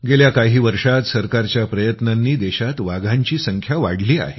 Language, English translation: Marathi, During the the last few years, through the efforts of the government, the number of tigers in the country has increased